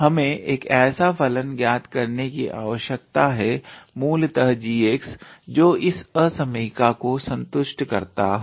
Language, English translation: Hindi, We need to find out a function basically g x, that will sort of how to say satisfy this inequality